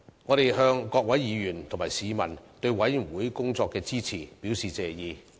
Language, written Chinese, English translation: Cantonese, 我們向各位議員及市民對委員會工作的支持，表示謝意。, The support of this Council and members of the public to the work of the Committee is very much appreciated